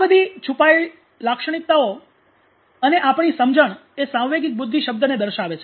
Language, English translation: Gujarati, So all these hidden characteristics are understanding you know indicate words emotional intelligence